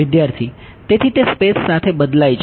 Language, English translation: Gujarati, So, that it varies with space